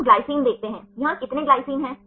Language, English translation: Hindi, We see the glycine, how many glycines here